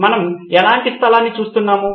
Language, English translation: Telugu, What kind of a place are we looking at